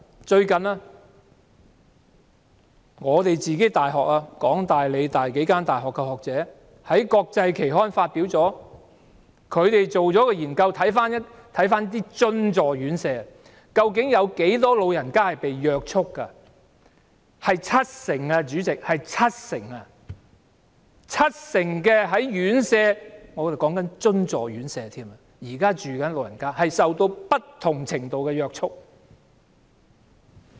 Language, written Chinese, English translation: Cantonese, 最近，香港大學、香港理工大學等數間大學的學者在國際期刊發表他們對津助院舍進行的研究調查，究竟有多少長者被約束，結果是七成，代理主席，是七成，有七成住在院舍的長者——現在指的是津助院舍——受到不同程度的約束。, Recently academics from among others the University of Hong Kong and The Hong Kong Polytechnic University published a research study on subsidized care homes in an international journal . They find that restraints are applied to 70 % of the elderly residents . Deputy President it is 70 % ; 70 % of the elderly residents in care homes I am talking about subsidized ones are subject to different extents of physical restraints